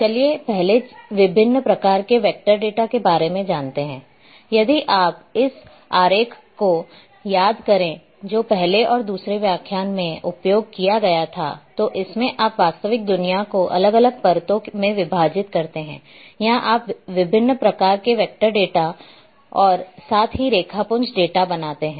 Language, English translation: Hindi, So,first about the different types of vector data, if you recall this diagram which I have also used in lecture 1 and 2 that when you segment the real world into different layers or themes you create different types of vector data as well as raster data